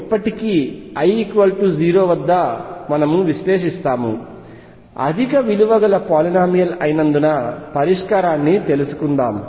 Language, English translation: Telugu, Still working on l equals 0; let us find out the solution which is a higher polynomial